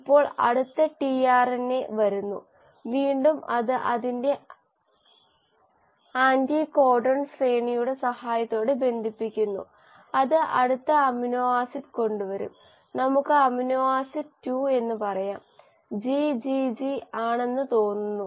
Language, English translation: Malayalam, Now the next tRNA comes, again it binds with the help of its anticodon sequence, and it will bring in the next amino acid, let us say amino acid 2; I think GGG we discussed codes for glycine so this comes in as the second